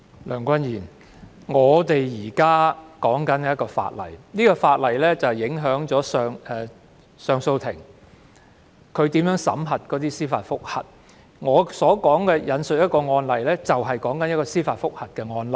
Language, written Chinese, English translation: Cantonese, 梁君彥，我們現正談論的《條例草案》，會影響上訴法庭如何審議司法覆核的申請，我想引述的案例正正是司法覆核的案例。, Andrew LEUNG the Bill we are discussing now will affect how the Court of Appeal deliberates on applications for judicial review . The case I intend to cite as an example is exactly a civil review case